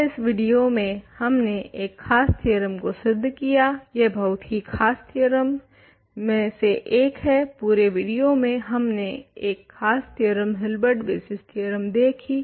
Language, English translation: Hindi, So, in this video we proved a very important theorem this is one of the most important theorems in the whole course called Hilbert basis theorem